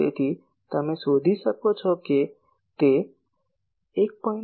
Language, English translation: Gujarati, So, you can find out it is 1